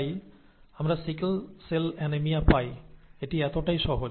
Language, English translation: Bengali, And therefore, we get sickle cell anaemia, right